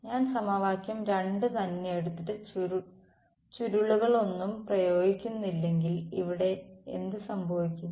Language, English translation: Malayalam, If I take equation 2 itself and do not apply any curls what happens here